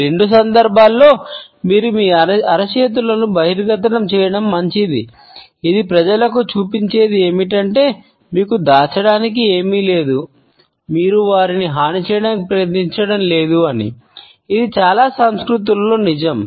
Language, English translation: Telugu, In either case you are better off revealing your palms than not from an evolutionary perspective what this shows people is that you have nothing to hide you are not trying to do them harm this is a true across many many cultures